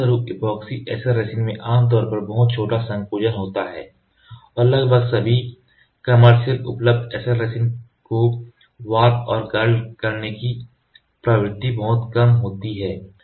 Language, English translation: Hindi, As a result epoxy SL resins typically have much smaller shrinkage and much less tendency to warp and curl almost all commercial available SL resins have significant amount of epoxies